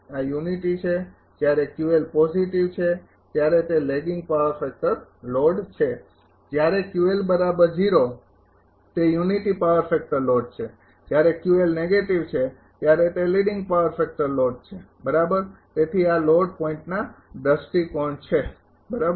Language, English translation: Gujarati, This is unity when Q L is positive it is lagging power factor load, when Q L is 0, it is unity power factor load and when Q L negative, it is leading power factor load right so, this is for the load point of view right